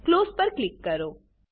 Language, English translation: Gujarati, Click on Close